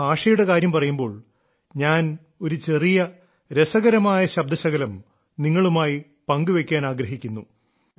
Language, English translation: Malayalam, Speaking of language, I want to share a small, interesting clip with you